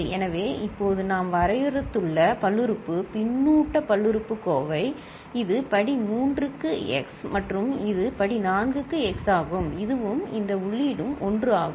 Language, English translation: Tamil, So, in terms of polynomial, feedback polynomial just now we have defined, this is x to the power 3 and this is x to the power 4, and this and this input is 1